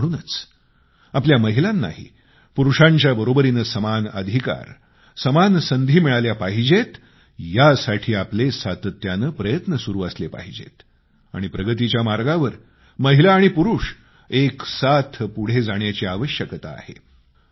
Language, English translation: Marathi, It should be our constant endeavor that our women also get equal rights and equal opportunities just like men get so that they can proceed simultaneously on the path of progress